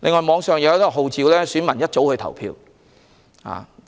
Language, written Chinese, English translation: Cantonese, 網上也有人號召市民大清早去投票。, There are also calls on the Internet to vote early in the morning